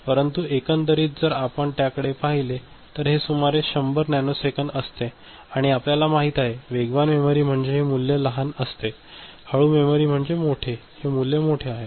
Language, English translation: Marathi, But altogether if you just look at it then it comes around that 100 nanosecond and you know, faster memory means smaller this value; slower memory means larger this value is larger